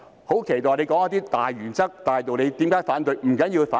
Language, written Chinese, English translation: Cantonese, 我期待他說出一些大原則、大道理，談談為何要反對。, I had expected him to tell us some primary principles or main reasons to explain his opposition